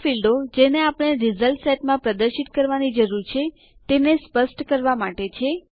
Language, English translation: Gujarati, This is for specifying the fields we need to display in the result set